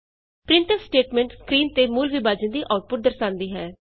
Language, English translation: Punjabi, The printf statement displays the output of real division on the screen